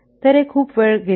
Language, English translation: Marathi, So, it is very much time consuming